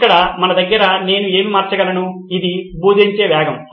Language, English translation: Telugu, Here we have is what can I vary, it’s the pace of teaching